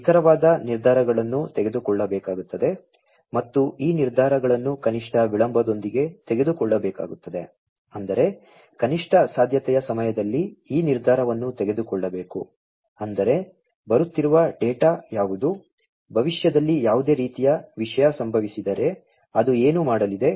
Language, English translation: Kannada, Accurate decisions will have to be taken and these decisions will have to be taken with minimal latency; that means, in least possible time, this decision will have to be taken about decision means like you know what is the you know the data that are coming, what it is going to do you know what if there is any kind of thing that is going to happen in the future